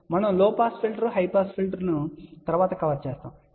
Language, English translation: Telugu, Actually we are going to cover low pass filter, high pass filter later on